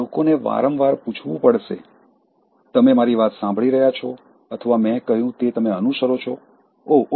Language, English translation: Gujarati, And people have to ask again and again, are you listening to me or did you follow what I said, oh, oh